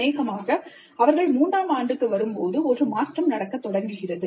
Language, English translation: Tamil, Probably by the time they come to third year, a transition begins to take place